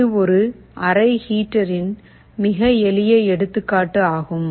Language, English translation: Tamil, This is a very simple example of a room heater